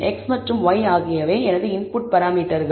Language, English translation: Tamil, So, identify is a function and x and y are my input parameters